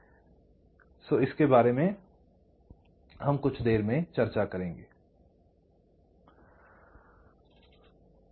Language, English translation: Hindi, this is something we shall be discussing later, not right now